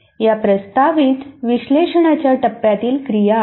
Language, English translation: Marathi, These are the activities of proposed analysis phase